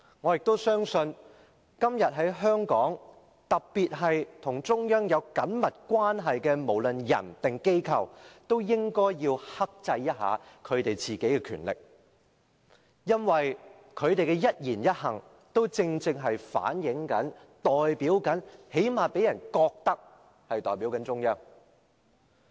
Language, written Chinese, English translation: Cantonese, 我亦相信今天在香港，特別是與中央有緊密關係的人或機構都應要克制一下自己的權力，因為他們的一言一行都代表或至少讓人覺得代表中央。, In my opinion at present individuals or organizations in Hong Kong that maintain close relations with the Central Authorities should be more restrained with their power for their words and deeds represent the Central Authorities or at least people have such an impression